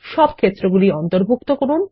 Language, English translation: Bengali, Include all fields